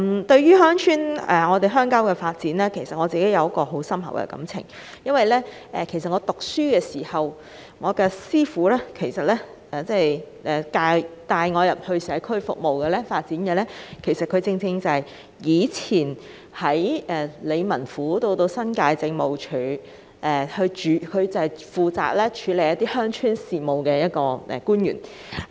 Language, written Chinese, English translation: Cantonese, 對於鄉郊發展這議題，我有很深厚的感情，因為在我學生時代帶領我進入社區進行服務的人，正是在以前的理民府以至新界政務署負責處理鄉村事務的官員。, I have very deep feelings about the issue of rural development because the person who introduced me into the world of community service during my school days is a former official responsible for handling rural affairs in the former District Office and the former New Territories Administration